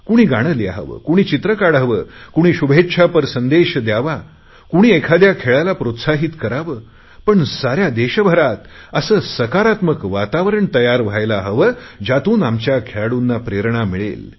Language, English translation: Marathi, Someone could write a song, someone could draw cartoons, someone could send messages with good wishes, somebody could cheer a particular sport, but on the whole a very positive environment should be created in the entire country for these sportspersons